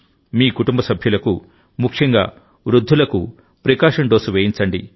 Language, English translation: Telugu, Make your family members, especially the elderly, take a precautionary dose